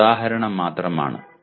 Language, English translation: Malayalam, Just this is an example